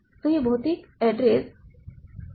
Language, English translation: Hindi, So, this is the physical address